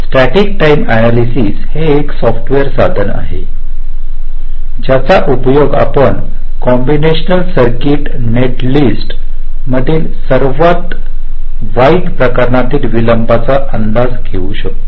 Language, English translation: Marathi, static timing analysis is a software tool using which you can estimate the worst case delays in a combination circuit net list